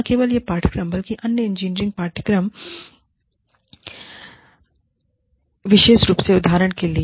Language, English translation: Hindi, Not only this course, but the other engineering courses, specifically, for example